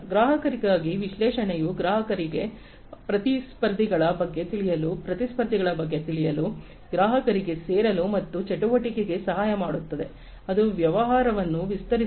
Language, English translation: Kannada, For a customer, analytics will help the customer to learn about competitors, learn about competitors, help the customer to join and activity, which expands business